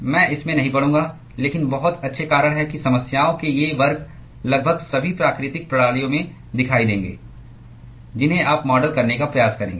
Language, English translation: Hindi, I will not get into that, but there are very good reasons why these classes of problems will appear in almost all the natural systems that you will try to model